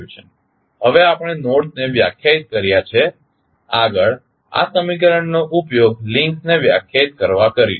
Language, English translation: Gujarati, Now, we have defined the nodes next we use this equation to define the links